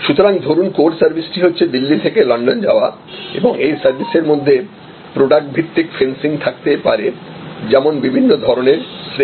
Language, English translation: Bengali, So, the core service is the travel from London, from Delhi to London and so in that course service there can be product based fencing, which is class of travel etc